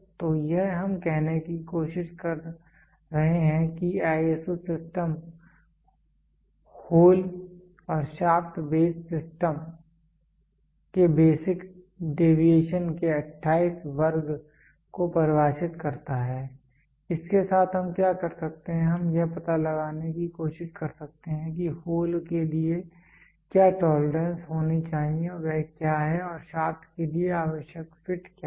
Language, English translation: Hindi, So, this is what we are trying to say the ISO system defines 28 class of basic deviation for hole and shaft base system with this what we can do is we can try to figure out what should be the tolerances which are given for the hole and for the shaft to have the necessary fit